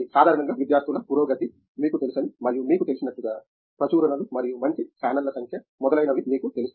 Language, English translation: Telugu, Generally, we look at you know the progress of students and as you mentioned you know, the number of publications and good channels and so on